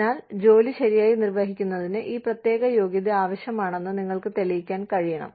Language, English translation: Malayalam, So, you should be able to demonstrate that, the particular qualification was required, to carry out the work, properly